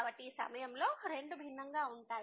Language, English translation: Telugu, So, both are different in this case